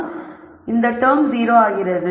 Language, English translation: Tamil, So, this equal to 0